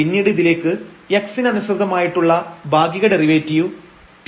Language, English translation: Malayalam, So, we have the existence of the partial derivative with respect to x